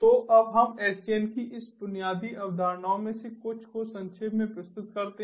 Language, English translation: Hindi, so now let us summarize some of these basic concepts of sdn